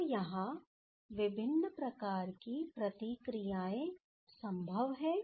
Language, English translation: Hindi, So, there are various type of reactions are possible